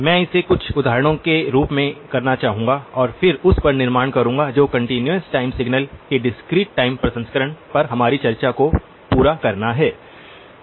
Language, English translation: Hindi, I would like to do it in the form of some examples and then build on that to complete our discussion on the discrete time processing of continuous time signals